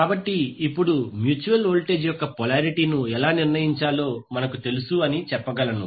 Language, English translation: Telugu, So now we can say that we know how to determine the polarity of the mutual voltage